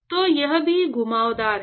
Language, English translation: Hindi, So, it is also convected